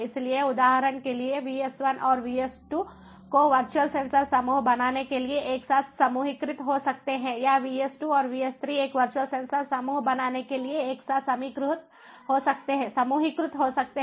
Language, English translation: Hindi, so, or example: vs one and vs two can be grouped together to form a virtual sensor group, or vs two and vs three could be, you know, group together to form virtual sensor group